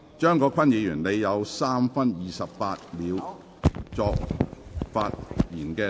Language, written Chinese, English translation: Cantonese, 張國鈞議員，你還有3分28秒作發言答辯。, Mr CHEUNG Kwok - kwan you still have 3 minutes 28 seconds to reply